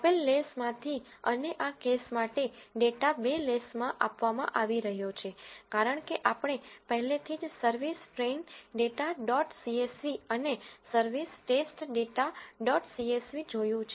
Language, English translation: Gujarati, From the given les and for this case, a data is being provided in two les as we have already seen service train data dot csv and service test data dot csv